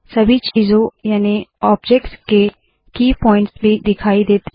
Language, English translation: Hindi, All key points of all objects also appear